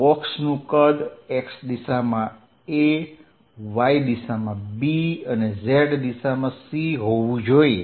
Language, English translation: Gujarati, Let the size of the box be a in the x direction, b in the y direction and c in the z direction